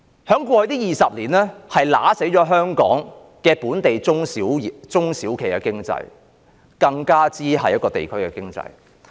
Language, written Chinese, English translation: Cantonese, 在過去20年，這是殺死香港本地中小企經濟，甚或地區經濟的原因。, In the past 20 years this is the cause that has stifled the local SME economy in Hong Kong or even the regional economy